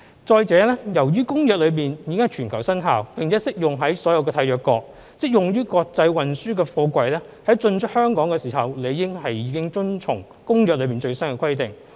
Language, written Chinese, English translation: Cantonese, 再者，由於《公約》已經在全球生效，並適用於所有締約國，即用於國際運輸的貨櫃在進出香港時理應已遵從《公約》的最新規定。, Moreover since the Convention has come into force globally and is applicable to all contracting parties all inbound and outbound freight containers used for international transport in Hong Kong should have been in compliance with the latest requirements under the Convention